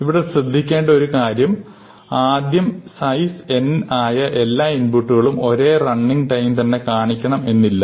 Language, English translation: Malayalam, And the main thing to remember is that not all inputs of size n will give the same running time